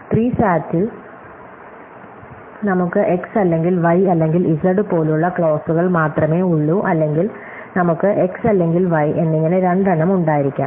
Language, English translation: Malayalam, In SAT, we have only clauses like x or not y or z or we could have two also, x or y and so on